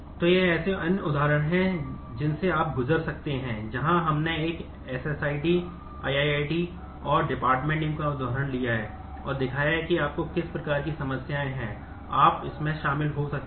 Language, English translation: Hindi, So, there are these are other examples that that you can go through where we have I have taken the example of a student ID , i ID and the department name and shown that what kind of problems, you might get into in this